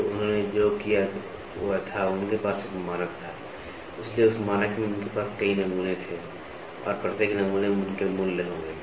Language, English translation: Hindi, So, what they did was, they had they had a standard, so in that standard they had several samples and each sample they will have values